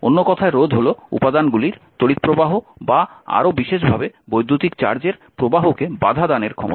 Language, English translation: Bengali, In other words, resistance is the capacity of materials to impede the flow of current or more specifically the flow of electric charge